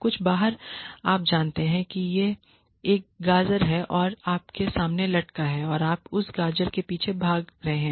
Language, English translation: Hindi, Something outside you know this is a carrot hanging in front of you and you are running after that carrot